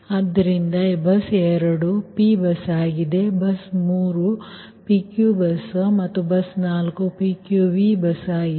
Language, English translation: Kannada, bus three is a pq bus and bus four is pqv bus, right